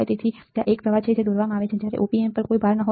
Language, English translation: Gujarati, So, there is a current that is drawn when there is no load to the Op amp